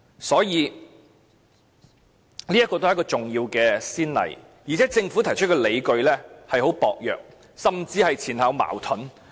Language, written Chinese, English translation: Cantonese, 所以，這也是一次重要先例，而且政府提出的理據亦很薄弱，甚至前後矛盾。, Hence this will set a significant precedent . Moreover the justifications produced by the Government are rather weak and even contradicting